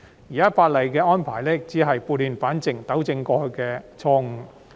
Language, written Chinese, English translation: Cantonese, 現時《條例草案》的安排只是撥亂反正，糾正過去的錯誤。, The existing arrangement of the Bill only seeks to set things right and correct the past mistakes